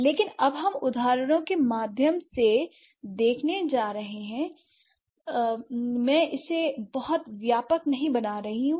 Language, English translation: Hindi, But now we are going to see through a very few examples, I'm not going to make it extremely comprehensive